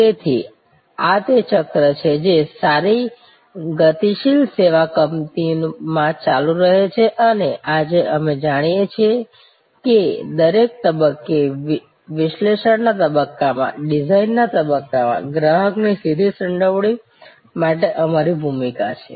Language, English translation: Gujarati, So, this is the cycle that continuous in a good dynamic service company and today, we recognize that we have a role for direct involvement of the consumer at every stage, the analysis stage, design stage